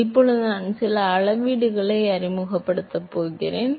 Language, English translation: Tamil, So, Now I am going to introduce some scaling